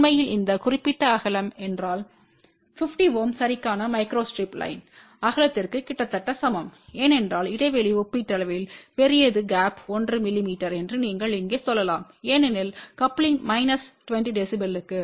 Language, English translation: Tamil, In fact, if this particular width is almost same as a micro strip line width 450 ohm ok, because the gap is relatively large you can say here the gap is 1 mm because the coupling is for minus 20 db